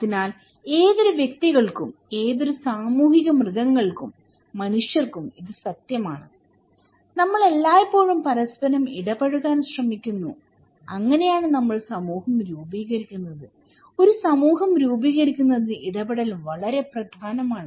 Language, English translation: Malayalam, So that is also true for any individuals, any social animals, human beings, we always seek interactions with each other and thatís how we form society so, interaction is so very important to form necessary to form a society, okay